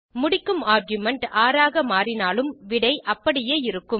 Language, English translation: Tamil, Note that if the ending argument changes to 6 the result remains the same